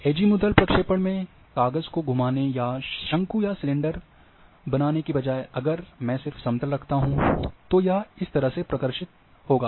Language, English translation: Hindi, Again in a Azimuth projection, I am not going to say roll the sheet or make a cone or cylinder, instead if I keep just flat, then this is how it will be projected